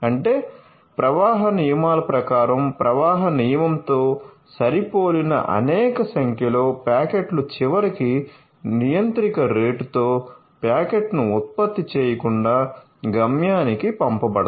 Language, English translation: Telugu, That means, according to the flow rules multiple number of packets which are matched with the flow rule eventually forward it to the destination without generating the packet at the controller rate